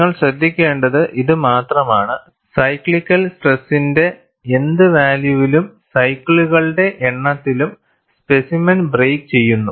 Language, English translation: Malayalam, You are only noting down, at what value of cyclical stress and what is the number of cycles, the specimen breaks